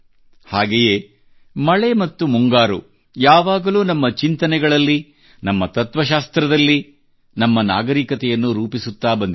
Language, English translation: Kannada, At the same time, rains and the monsoon have always shaped our thoughts, our philosophy and our civilization